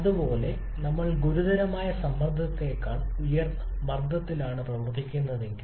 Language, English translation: Malayalam, Similarly if we are operating at a pressure higher than the critical pressure